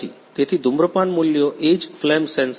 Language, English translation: Gujarati, So, smoke values is what n is flame sensor